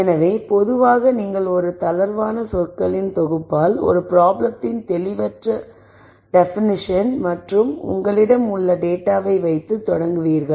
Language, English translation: Tamil, So, typically you start with a loose set of words a vague de nition of a problem and the data that you have